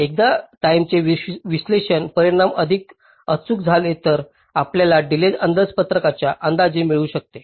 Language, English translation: Marathi, ok, so once the timing analysis results become more accurate, so only then you can get the delay budget estimates as well